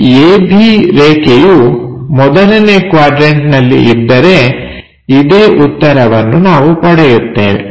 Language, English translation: Kannada, If this a b line is in the 1st quadrant this is the solution what we should get